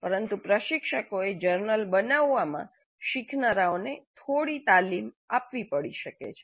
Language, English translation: Gujarati, But instructors may have to provide some training to the learners in developing journals